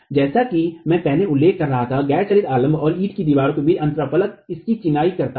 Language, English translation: Hindi, As I was mentioning earlier, at the interface between the non moving support and the brick wall, it is masonry